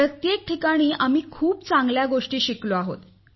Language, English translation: Marathi, We have learnt very good things at each stage